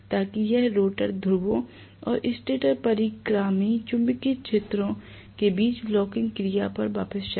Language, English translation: Hindi, So that it goes back to the locking action between rotor poles and the stator revolving magnetic field poles